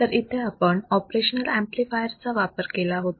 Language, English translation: Marathi, We have used an operational amplifier